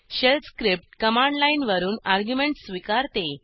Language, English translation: Marathi, * Shell script can accept arguments from the command line